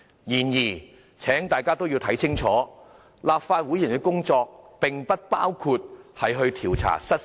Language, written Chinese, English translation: Cantonese, 然而，請大家看清楚，立法會議員的工作不包括調查失竊案。, However please be reminded that the functions of legislators do not include investigating cases of theft